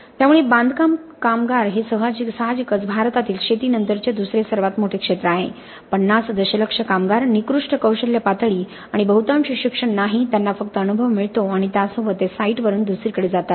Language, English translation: Marathi, So construction workers obviously form the second largest sector in India after agriculture 50 million workers, poor skill levels and mostly no education, they just gain experience and with that they move from site to site, we have a constantly changing workforce